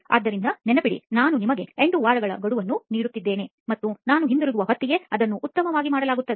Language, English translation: Kannada, So remember, I am giving you an 8 week deadline and it better be done, by the time I get back